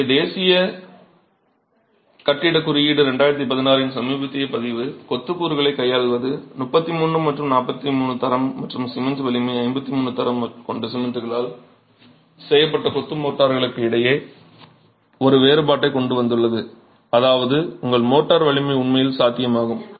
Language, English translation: Tamil, So, the recent version of the National Building Code 2016, which deals with the masonry constituents, has specifically brought in a distinction between masonry motors that are made with cement of strength 33 and 43 grade and cement strength 53 grade, which means your motor strength can actually be higher if the cement grade is higher